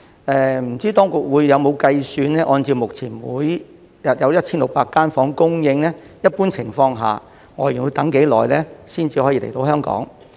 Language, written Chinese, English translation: Cantonese, 不知當局會否按照目前每日有1600間房間的供應來計算，在一般情況下，外傭要等多久才可以來香港？, I wonder if the authorities will use the current daily supply of 1 600 rooms as the basis for calculating how long FDHs will have to wait before they can come to Hong Kong under normal circumstances?